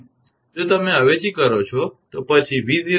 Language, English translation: Gujarati, If you substitute then V0 will be 2